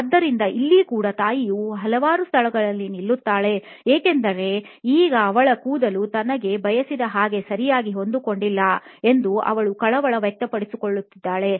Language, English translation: Kannada, So, here again mom stops at several places because now she is concerned whether she is probably her hair does not fit in correctly as she wants it to be